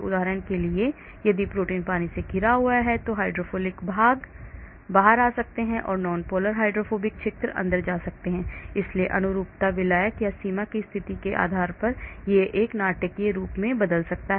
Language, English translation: Hindi, for example if protein is surrounded by water the hydrophilic portions may come out, the nonpolar hydrophobic regions may go inside, so the conformations can change dramatically depending upon the solvent or the boundary conditions